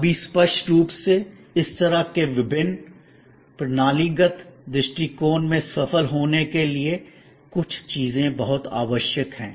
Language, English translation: Hindi, Now; obviously to be successful in this kind of integral systemic approach, certain things are very necessary